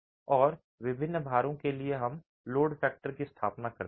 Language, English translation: Hindi, And for different loads, we establish the load factor